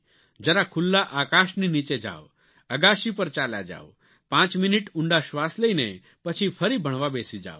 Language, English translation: Gujarati, Just be under the open sky, go to the roof top, do deep breathing for five minutes and return to your studies